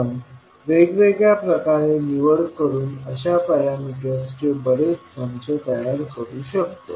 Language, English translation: Marathi, So based on the choice we can generate many sets of such parameters